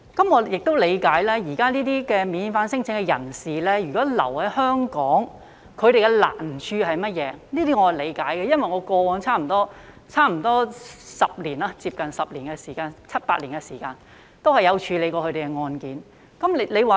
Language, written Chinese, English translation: Cantonese, 我亦理解現時這些免遣返聲請的人士如留在香港，他們面對的難處是甚麼，這些我也理解，因為我過往在差不多10年中，有七八年曾有處理過他們的案件。, I also understand the difficulties faced by these non - refoulement claimants when they are staying in Hong Kong . It is because I have dealt with such cases for seven to eight years out of the past decade or so